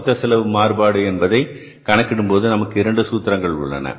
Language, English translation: Tamil, And to calculate this total overhead cost variance, we have both the formulas with us